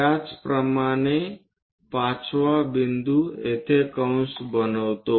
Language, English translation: Marathi, Similarly, fifth point make an arc here